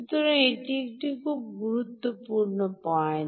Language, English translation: Bengali, ok, so thats a very important point